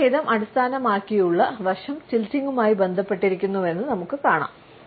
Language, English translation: Malayalam, We find that a gender based aspect is also associated with a head tilt